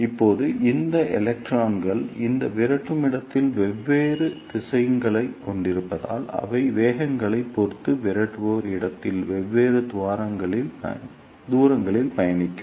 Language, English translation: Tamil, Now, since these electrons have different velocities in this repeller space, so they will travel different distances in the repeller space depending upon the velocities